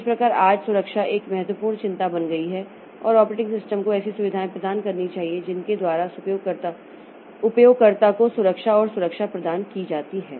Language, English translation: Hindi, So, that way security becomes an important concern today and operating system must provide facilities by which the security and protection is provided to the users